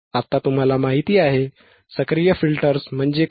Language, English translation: Marathi, Now you know, what are active filters